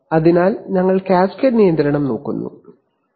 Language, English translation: Malayalam, So we look at cascade control, okay